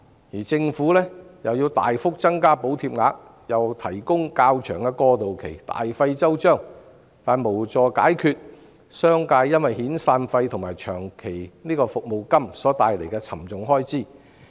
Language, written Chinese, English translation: Cantonese, 而政府也要大幅增加補貼額，並提供較長的過渡期，大費周章，但卻無助商界解決因遣散費及長期服務金所帶來的沉重開支。, And the Government also has to significantly increase the amount of subsidy and provide a longer transitional period . Having made such painstaking efforts still it fails to help the business sector solve the steep expenses arising from severance payment and long service payment